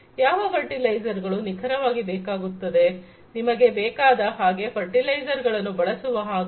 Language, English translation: Kannada, What fertilizers exactly would be required, not that you know you put in any kind of fertilizer it will be